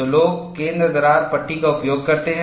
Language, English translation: Hindi, So, people use centre cracked panels